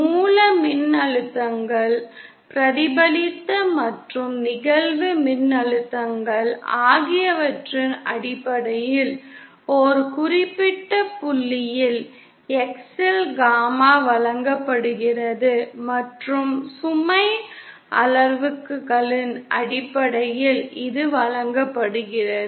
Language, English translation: Tamil, Gamma at a particular point X in terms of the source voltages, reflected and incident voltages is given by this and in terms of the load parameters, it is given by this